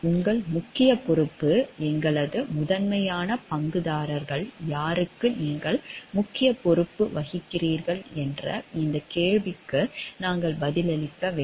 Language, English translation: Tamil, We have to answer these questions of where does your major responsibility lie, is it to who are the primary stakeholders to whom you are majorly responsible